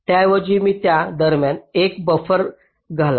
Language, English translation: Marathi, instead of this, i insert a buffer in between